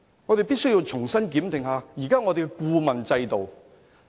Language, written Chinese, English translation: Cantonese, 我們必須重新檢定現時的顧問制度。, We must re - examine the exiting consultancy mechanism